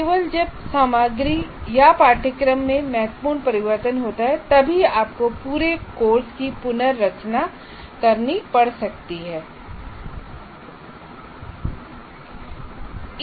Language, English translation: Hindi, Only when the content or the syllabus significantly changes, you may have to go through the complete redesign of the course